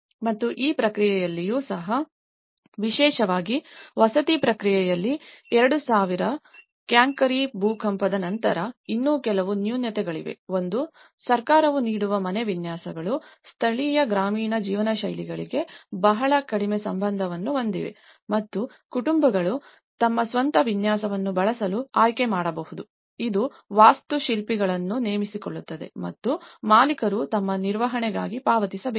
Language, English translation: Kannada, And even in this process, there are so especially, in the housing process especially, in after the 2000 Cankiri earthquake, there are also some other shortcomings; one is the house designs offered by the government have very little regard to local rural living styles and while families can choose to use their own design, this entails hiring an architect which the owner must pay for in manage themselves